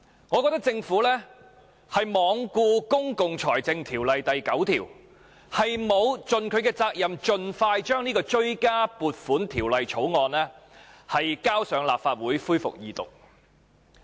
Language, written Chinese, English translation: Cantonese, 我覺得政府罔顧《公共財政條例》第9條，沒有盡其責任，盡快將這項《追加撥款條例草案》提交立法會恢復二讀。, I think the Government has neglected section 9 of the Public Finance Ordinance PFO in failing to fulfil its responsibility of introducing as soon as possible this Supplementary Appropriation 2016 - 2017 Bill into the Legislative Council for resumption of the Second Reading debate